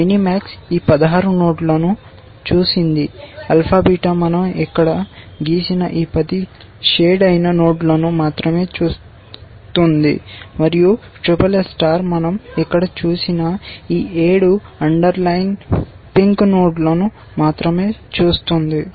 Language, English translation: Telugu, Mini max would have seen all these 16 nodes, alpha beta sees only these 10 unshaded nodes that we have drawn here, and SSS star sees only these 7 underlined pink nodes that we have seen here